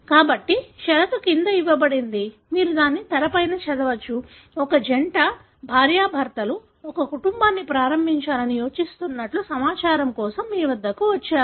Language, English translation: Telugu, So, the condition is given below, you can read it on the screen; that a couple, husband and wife, planning to start a family came to you for information